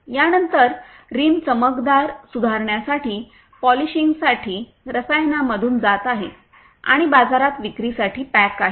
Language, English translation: Marathi, After this, the rim passes through chemicals for polishing to improve the shining and packed for selling in the market